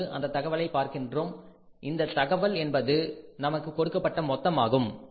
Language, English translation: Tamil, Now you look at this information, this information is total which is given to us